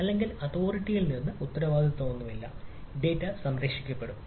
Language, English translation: Malayalam, or there is no responsibility from the authority so that the data will be saved, etcetera